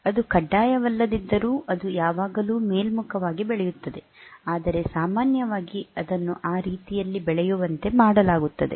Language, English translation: Kannada, Though it is not mandatory that it will always grow in the upward direction, but by in general it is made to grow in that way